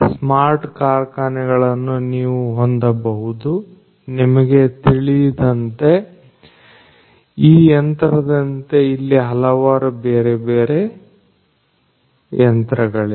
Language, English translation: Kannada, So, you can have smart factories, but as you can understand that this is one machine like this there could be several, several other different types of machines